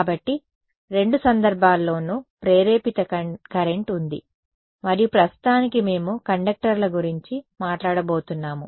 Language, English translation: Telugu, So, in both cases there is an induced current and for now we are going to be talking about conductors